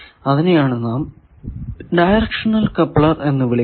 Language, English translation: Malayalam, So, this becomes a directional coupler